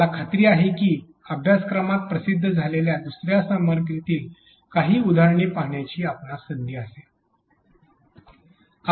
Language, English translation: Marathi, I am sure you will have a chance to look at some of the examples of that in another content which is released in this course